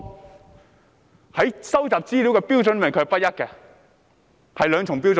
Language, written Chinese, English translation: Cantonese, 他們對收集資料的標準不一，持有雙重標準。, They have inconsistent and double standards concerning collection of information